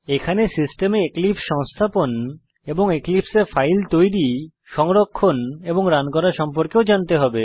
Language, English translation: Bengali, To follow this tutorial you must have eclipse installed on your system and you must know how to create, save and run a file in Eclipse